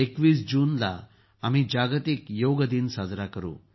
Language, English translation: Marathi, We will also celebrate 'World Yoga Day' on 21st June